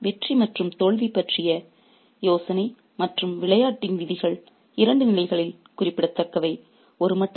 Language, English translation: Tamil, So, the idea of winning and losing and the rules of the game are significant on two levels